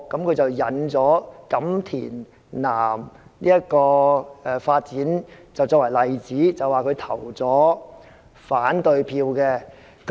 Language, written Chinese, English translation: Cantonese, 他引用發展錦田南作為例子，說他投下了反對票。, He cited the development of Kam Tin South as an example and said that he had voted against it